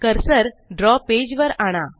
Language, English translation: Marathi, Now move the cursor to the page